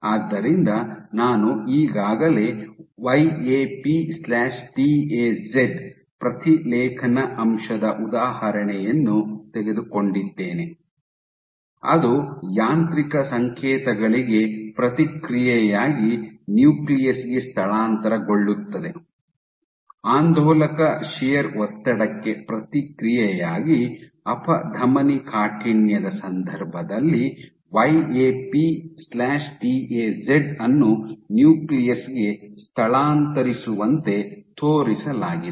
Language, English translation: Kannada, So, I have already taken an example of the YAP/TAZ transcription factor, which translocate to the nucleus in response to mechanical signals; so in the context of atherosclerosis so this is oscillatory shear stress in response to oscillatory shear stress, YAP/TAZ as were shown to translocate to the nucleus